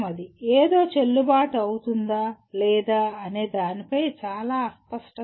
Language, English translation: Telugu, There is not much of ambiguity about whether something is valid or not and so on